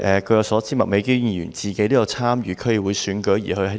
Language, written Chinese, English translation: Cantonese, 據我所知，麥美娟議員本身有參與區議會選舉。, As far as I know Ms Alice MAK is a contestant in the District Council Election